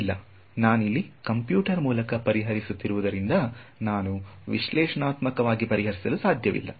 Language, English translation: Kannada, No well because I am solving it on the computer, I cannot you calculate these derivatives analytically